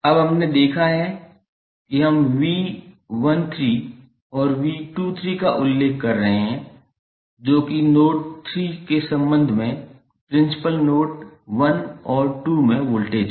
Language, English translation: Hindi, Now, we have seen that we are mentioning V 13 and V 23 that is the voltages at principal node 1 and 2 with respect to node 3